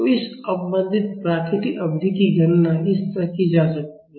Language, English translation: Hindi, So, this damped natural period can be calculated like this